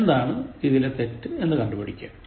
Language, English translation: Malayalam, Identify what is wrong in this